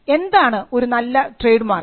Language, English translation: Malayalam, What is a good trademark